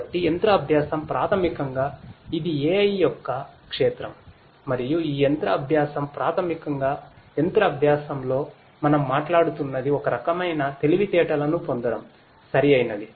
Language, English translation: Telugu, So, machine learning basically you know it is a field of AI and this machine learning basically you know what we are talking about in machine learning is to derive some kind of you know intelligence, some kind of intelligence to be derived, right